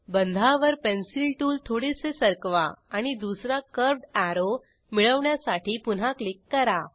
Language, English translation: Marathi, Shift the Pencil tool a little on the bond, click again to get second curved arrow